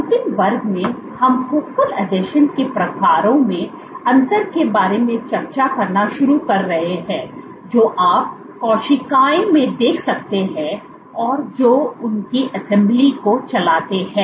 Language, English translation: Hindi, In the last class we are started discussing about differences in the type of focal adhesions that you might observe in cells and what drives their assembly